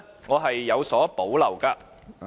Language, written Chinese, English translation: Cantonese, 我是有所保留的。, I have reservation about that